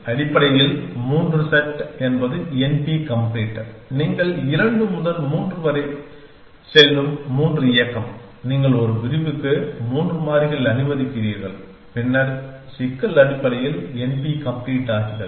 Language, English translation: Tamil, Essentially, 3 sat is m p complete the 3 movement you go from 2 to 3 that you allow 3 variables per clause, then the problem becomes m p complete essentially